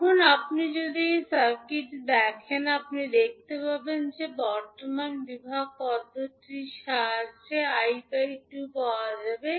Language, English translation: Bengali, Now, if you see this particular circuit, you will see that the I2 value that is the current I2 can be found with the help of current division method